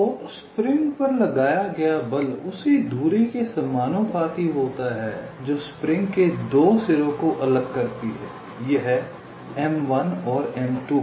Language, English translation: Hindi, so the force exerted on the spring is proportional to the distance that separates the two ends of the spring, this m one and m two